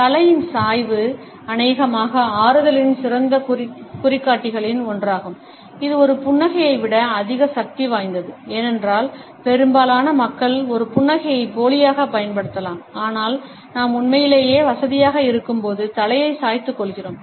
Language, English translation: Tamil, Head tilt is probably one of the best indicators of comfort um, probably more powerful than a smile, because most people can fake a smile, but head tilt we reserved for when we are truly comfortable